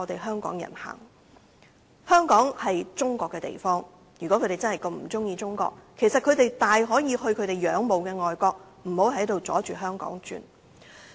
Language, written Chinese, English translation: Cantonese, 香港是中國的地方，如果他們真的不喜歡中國，其實大可去他們仰慕的外國，不要阻礙香港發展。, Please give Hong Kong people a way out . Hong Kong is part of China if they really do not like China they can actually move to other countries that they admire and do not hinder the development of Hong Kong